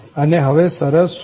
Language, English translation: Gujarati, And, what are the conditions now